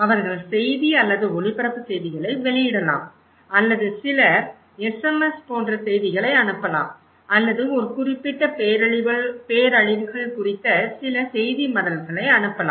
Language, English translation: Tamil, They can publish news or broadcast news or some send message like SMS or maybe some newsletters about a particular disasters